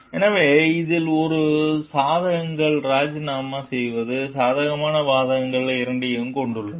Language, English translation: Tamil, So, it has both pros resigning has both the pros and cons